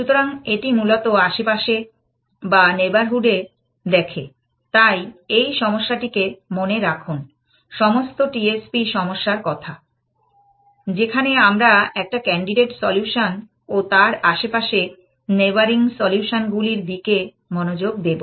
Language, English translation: Bengali, So, it basically looks at the neighborhood and so keeps this at problem in mind, all the T S C problem in mind, where we are looking at a candidate solution and the neighboring candidates solutions essentially